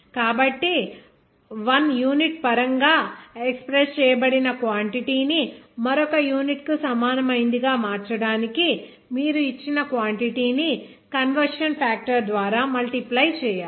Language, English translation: Telugu, So, to convert a quantity expressed in terms of 1 unit to its equivalent in terms of another unit, you will need to multiply the given quantity by the conversion factor